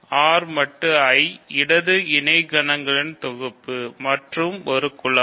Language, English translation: Tamil, So, R mod I the set of left corsets is a group